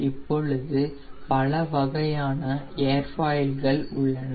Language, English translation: Tamil, now there are different type of airfoils present